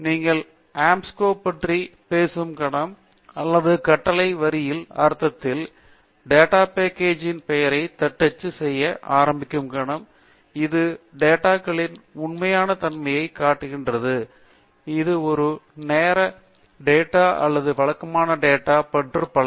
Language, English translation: Tamil, The moment you talk about Anscombe or in the sense in the command prompt, the moment you start typing the name of the data set, it shows you the true nature of the data whether it is a time series data or regular data and so on